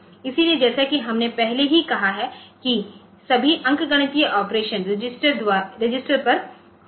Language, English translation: Hindi, So, as we have already said that it will be all arithmetic operations are done on registered